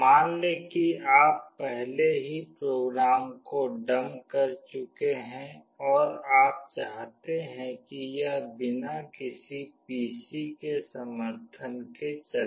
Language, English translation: Hindi, Let us say you have already dumped the program and you want it to run without the support of any PC anywhere